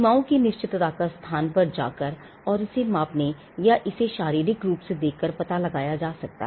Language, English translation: Hindi, The boundaries can be ascertained physically by going to the location and measuring it or looking at it